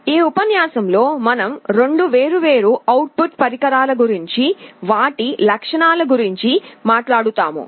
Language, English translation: Telugu, In this lecture we shall be talking about 2 different output devices, some of their characteristics